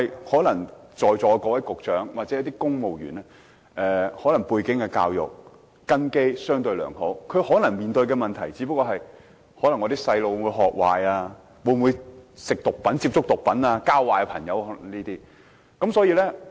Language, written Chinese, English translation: Cantonese, 可是，在座各位局長或公務員可能教育背景和根基相對良好，他們面對的問題可能只不過是子女會學壞、會否接觸毒品，甚或誤交損友等。, Nevertheless the Bureau Directors or civil servants in this Council are likely to have sound educational and family backgrounds and what trouble them may probably be whether their children would behave badly expose to drugs or even be led astray by bad guys